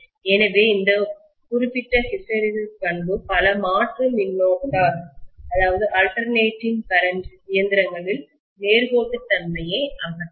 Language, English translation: Tamil, So this particular hysteresis property is a pain in the neck in many of the alternating current machines because it will first of all eliminate the linearity